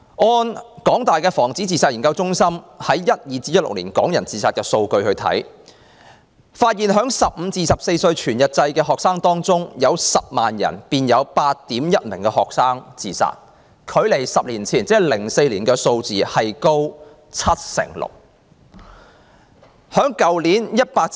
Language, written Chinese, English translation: Cantonese, 按香港大學防止自殺研究中心所搜集2012年至2016年港人自殺的數據來看，在15歲至24歲全日制學生中，每 100,000 萬人便有 8.1 名學生自殺，較10年前的數字高出 76%。, According to the statistics concerning suicides in Hong Kong collected by the Centre for Suicide Research and Prevention the University of Hong Kong between 2012 and 2016 among full - time students aged 15 to 24 there were 8.1 suicides in every 100 000 which was 76 % higher than the number 10 years ago in 2004